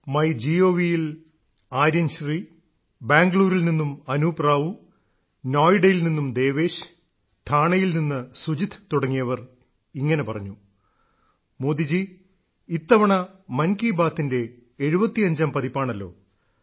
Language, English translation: Malayalam, On MyGov, Aryan Shri Anup Rao from Bengaluru, Devesh from Noida, Sujeet from Thane all of them said Modi ji, this time, it's the 75th episode of Mann ki Baat; congratulations for that